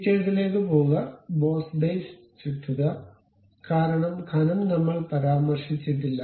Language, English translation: Malayalam, Go to features, revolve boss base because thickness we did not mention